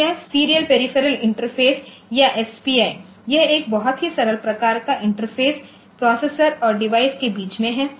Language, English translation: Hindi, So, this serial peripheral interface or SPI, it is a very simple type of interface where between the processor and device